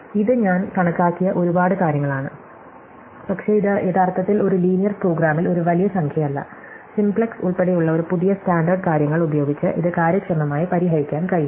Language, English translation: Malayalam, So, this is a lot of things that I have estimate, but it turns out that actually in a linear program this is not a large number, it can be solved quite efficiently by any of the standard things including simplex